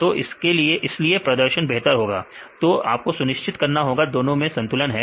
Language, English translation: Hindi, So, this is why they improve the performance, so you have to be sure that that is a balance between these two